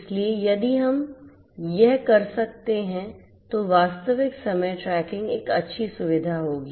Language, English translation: Hindi, So, real time tracking if we can have this would be a good feature